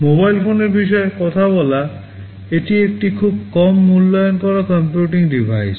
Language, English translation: Bengali, Talking about mobile phones this is a very underestimated computing device